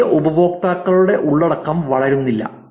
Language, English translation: Malayalam, Content by new users do not grow, right